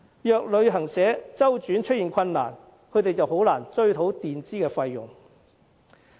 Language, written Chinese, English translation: Cantonese, 如果旅行社周轉出現困難，導遊便難以追討墊支的費用。, In case the travel agency suffers from financial difficulties the tour guide will have difficulty in recovering the payments advanced